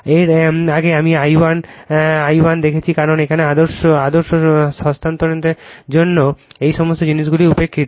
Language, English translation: Bengali, Earlier I saw I 1 I one because for ideal transfer all these things are neglected